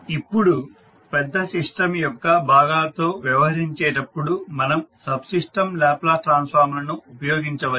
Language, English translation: Telugu, Now when dealing with the parts of the large system we may use subsystem Laplace transform